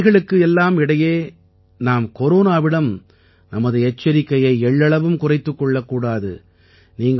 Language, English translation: Tamil, In the midst of all these, we should not lower our guard against Corona